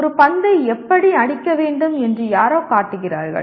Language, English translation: Tamil, Somebody shows how to hit a ball